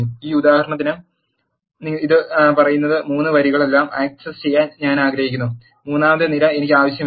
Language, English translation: Malayalam, In this example what does it says is I want to access all the 3 rows and I do not want the third column